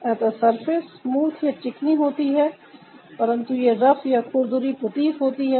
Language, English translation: Hindi, so the surface is smooth but it looks rough